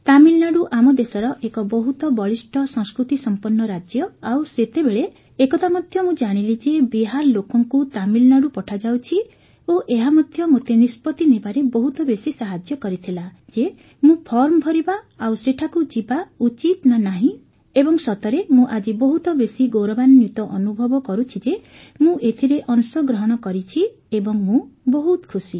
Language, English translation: Odia, Tamil Nadu is a very rich cultural state of our country, so even at that time when I came to know and saw that people from Bihar were being sent to Tamil Nadu, it also helped me a lot in taking the decision that I should fill the form and whether to go there or not